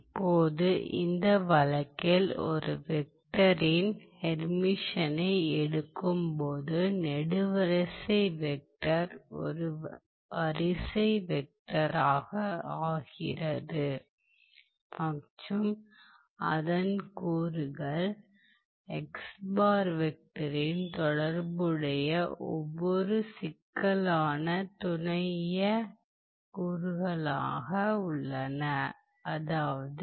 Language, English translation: Tamil, Now, he in this case you are taking the Hermitian of a vector, the column vector becomes a row vector and you also in addition take the complex conjugate of each complex element